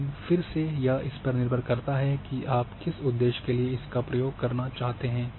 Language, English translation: Hindi, But it depends again for what purpose you want to use that data